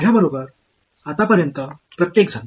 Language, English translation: Marathi, Everyone with me so far